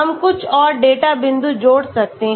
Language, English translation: Hindi, we can add some more data points